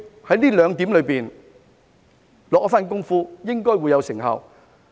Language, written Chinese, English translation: Cantonese, 在這兩點下一番工夫，應該會有成效。, By focusing our effort on these two points we should be able to achieve results